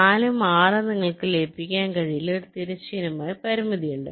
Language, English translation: Malayalam, four and six: you cannot merge, there is a horizontal constraint